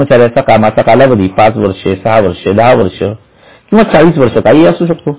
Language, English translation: Marathi, That service can be 5 years, 6 years, 10 years, 40 years, whatever